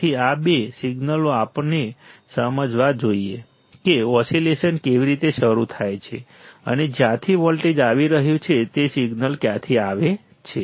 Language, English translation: Gujarati, So, these two signals we must understand how the how the oscillation starts and from where the signal is from the where the voltage is coming